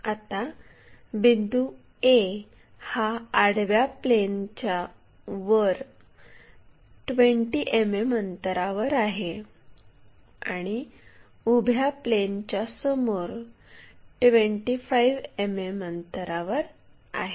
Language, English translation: Marathi, So, the point A begins 20 mm above the horizontal plane and 25 mm in front of vertical plane